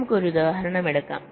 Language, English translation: Malayalam, so lets take an example